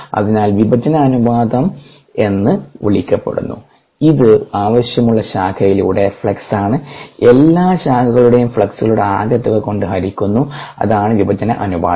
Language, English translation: Malayalam, so the split ratio, as it is called this, is flux through the desired branch divided by the sum of fluxes through all branches